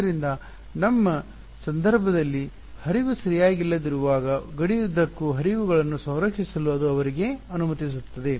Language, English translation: Kannada, So, that allows them to conserve flows across a boundary in our case we do not have a flow alright